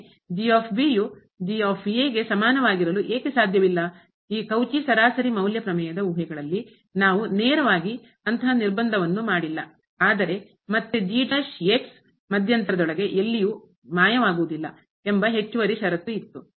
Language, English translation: Kannada, We have not made such a restriction directly in the assumptions of this Cauchy mean value theorem , but again there was an additional condition that does not vanish anywhere inside the interval